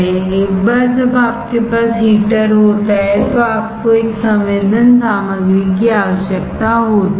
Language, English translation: Hindi, Once you have heater you need a sensing material